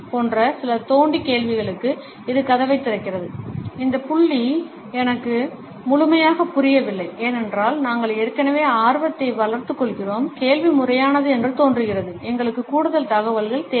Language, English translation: Tamil, It opens the door for some digging questions like; that point I do not completely understand, because we already build up interest, the question seems legit, we need more information